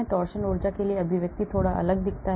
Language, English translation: Hindi, torsion the expression for the energy looks slightly different